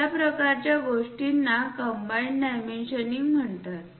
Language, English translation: Marathi, Such kind of things are called combined dimensioning